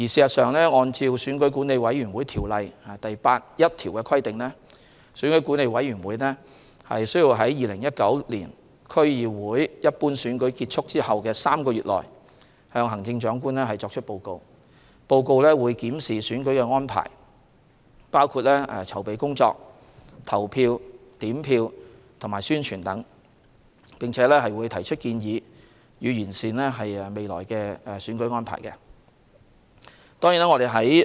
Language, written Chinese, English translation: Cantonese, 按《選舉管理委員會條例》第81條的規定，選舉管理委員會需於2019年區議會一般選舉結束後的3個月內，向行政長官作出報告。報告會檢視選舉安排，包括籌備工作、投票、點票和宣傳等，並提出建議，以完善未來的選舉安排。, According to section 81 of the Electoral Affairs Commission Ordinance EAC shall within three months of the conclusion of the DC Election submit a report to the Chief Executive to review the electoral arrangements including its preparatory work polling and counting arrangements publicity and make recommendations with a view to enhancing the electoral arrangements of future elections